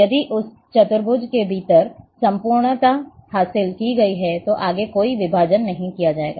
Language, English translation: Hindi, If homogeneity has been achieved, within that quadrant, then no further divisions would be made